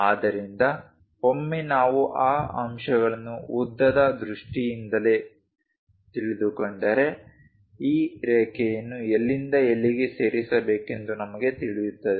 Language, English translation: Kannada, So, once we know these points in terms of lengths, we know where to where to join this line